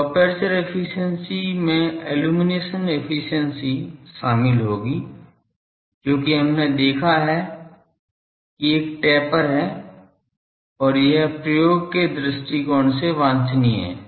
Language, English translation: Hindi, So, aperture efficiency will comprise of illumination efficiency because, we have seen that there is a taper and it is desirable from the application point of view